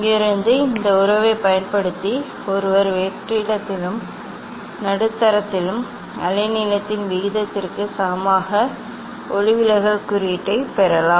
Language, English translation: Tamil, from here using this relation one can get refractive index equal to ratio of the wavelength of in vacuum as well as in the medium